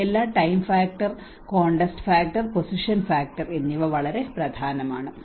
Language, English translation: Malayalam, these all the time factor, the context factor and the position factor is very important